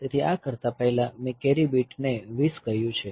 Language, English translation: Gujarati, So, before doing this I said the carry bit 2 0